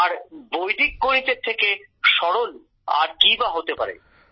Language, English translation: Bengali, And what can be simpler than Vedic Mathematics